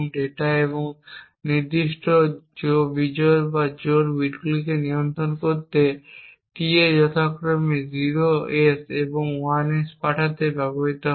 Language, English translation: Bengali, Recollect that tB are used in order to control the data and specific odd or even bits being transmitted and tA are used to send 0s and 1s respectively